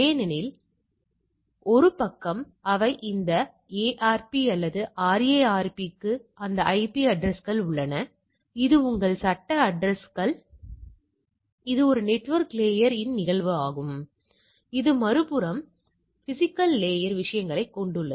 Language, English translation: Tamil, Because, one side they are this ARP or RARP have that IP addresses, which is your legal address which is a phenomena of a network layer on the other side it has the physical layer things